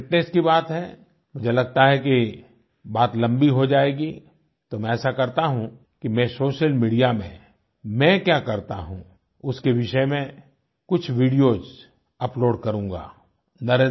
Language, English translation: Hindi, As regards fitness, I think that will be quite a lengthy topic, so what I'll do is, I'll upload some videos on this topic on the social media